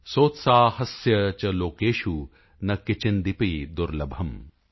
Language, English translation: Punjabi, Sotsaahasya cha lokeshu na kinchidapi durlabham ||